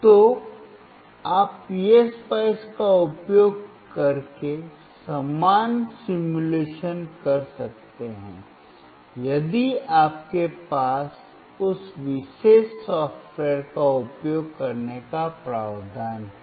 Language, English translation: Hindi, So, you can perform the same simulation using PSpice, if you have the provision of using that particular software